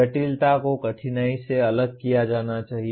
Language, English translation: Hindi, The complexity should be differentiated from the difficulty